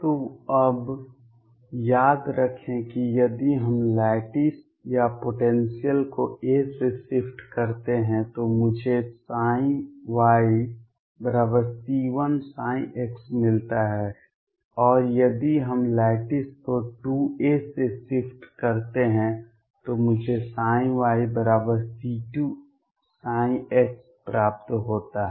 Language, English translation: Hindi, So, remember now if we shift the lattice or the potential by a I get psi y equals c 1 psi x and if we shift the lattice by 2 a I get psi y equals c 2 psi x